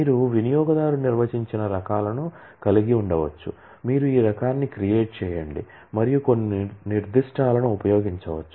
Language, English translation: Telugu, You can have user defined types, you can say create type and use some specific